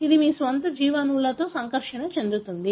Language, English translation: Telugu, It is going to interact with your own biomolecules